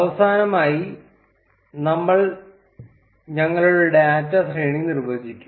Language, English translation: Malayalam, And finally, we would define our data array